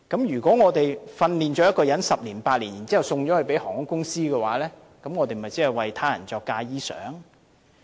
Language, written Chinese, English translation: Cantonese, 如果我們花了8至10年訓練出一位機師，然後卻送了給航空公司的話，那麼我們即是"為他人作嫁衣裳"。, If we have spent 8 to 10 years training up a pilot only to see him going to work for an airline company we are merely sewing the trousseau for somebody else